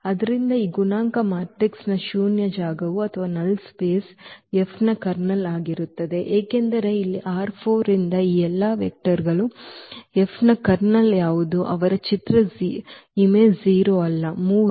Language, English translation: Kannada, So, the null space here of this coefficient matrix will be the Kernel of F, because what is the Kernel of F all these vectors here from R 4 whose image is 0 they are not 3